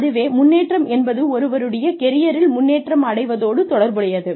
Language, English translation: Tamil, Advancement actually relates to, progression in one's career